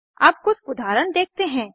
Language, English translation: Hindi, Let us look at some examples